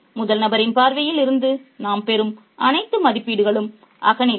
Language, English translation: Tamil, So, all the assessments that we get from a first person point of view is subjective